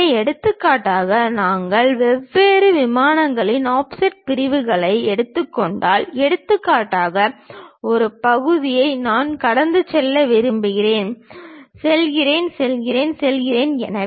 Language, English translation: Tamil, So, for example, if we are taking offset sections at different planes; for example, I want to pass a section goes, goes, goes, goes